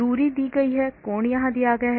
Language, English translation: Hindi, the distance is given and angle is given here